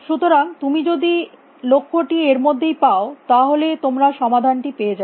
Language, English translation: Bengali, So, if you find the goal within that, yes you will get the solution